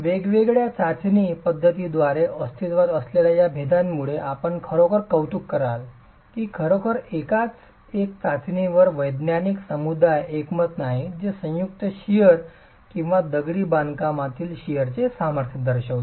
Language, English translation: Marathi, You will appreciate the fact given these differences that exist between the different test methods that really there is no consensus in the scientific community on one single test that characterizes either the joint shear strength or the sheer strength of masonry